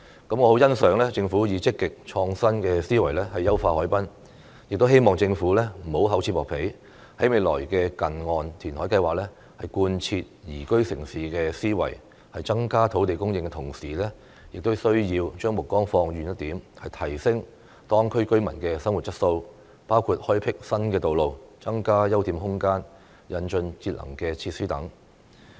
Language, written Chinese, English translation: Cantonese, 我很欣賞政府以積極、創新的思維優化海濱，亦希望政府不要厚此薄彼，在未來的近岸填海計劃，貫徹"宜居城市"的思維，在增加土地供應的同時，亦需要將目光放遠一點，提升當區居民的生活質素，包括開闢新道路、增加休憩空間、引進節能設施等。, I very much appreciate the Governments active and innovative mindset towards harbourfront enhancement . I also hope that the Government will refrain from favouritism and implement the philosophy of a liveable city in future near - shore reclamation projects . While increasing land supply the Government also needs to be more far - sighted and raise local residents quality of living including building new roads increasing open space and introducing energy - saving facilities